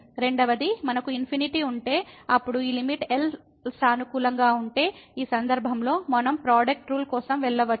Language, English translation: Telugu, Second, if we have infinity and then this limit is positive, in this case we can go for the product rule